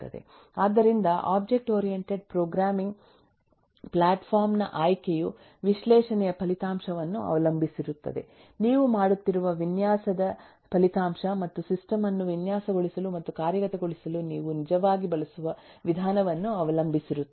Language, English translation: Kannada, so the choice of object oriented programming platform will depend on the result of analysis, the result of the design that you are making, and will also depend on the way you actually are going to design and implement the system